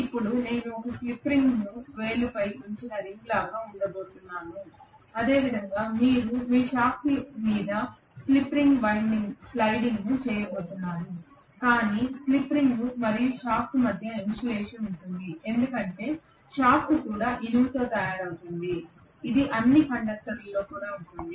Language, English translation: Telugu, Now I am going to have one slip ring that is it is like a ring which is put on the finger, similar to that you are going to have the slip ring sliding over your shaft but there will be insulation between the slip ring and the shaft itself because shaft is also made up of iron in all probability that is also a conductor